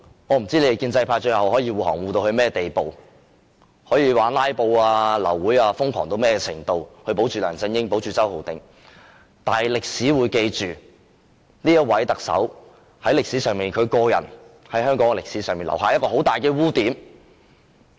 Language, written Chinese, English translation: Cantonese, 我不知建制派最後可以護航到甚麼地步，可以瘋狂"拉布"、"流會"到甚麼程度來保護梁振英及周浩鼎議員，最後是否成功也好，歷史都會記下這位特首在香港歷史上留下的巨大污點。, I do not know how far pro - establishment Members will go in shielding LEUNG Chun - ying whether they will crazily filibuster and abort meetings to protect LEUNG Chun - ying and Mr Holden CHOW . No matter whether they will succeed or not history will record that this Chief Executive has left a big blemish in the history of Hong Kong